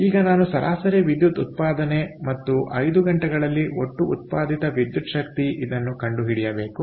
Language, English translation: Kannada, calculate the average power output and the total electrical energy produced in five hours